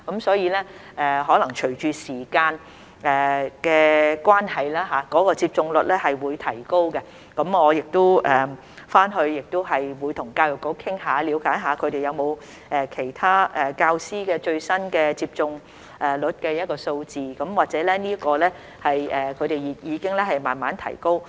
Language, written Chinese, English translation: Cantonese, 所以，可能隨着時間的關係，接種率亦會提高，我回去亦會跟教育局討論，了解他們有否其他教師最新接種率的數字，或許這方面的數字已經慢慢提高。, Therefore the vaccination rate may increase as time goes by . I will discuss it with the Education Bureau after this meeting to find out if they have the latest vaccination rates among other teachers and perhaps the figures have already been increased gradually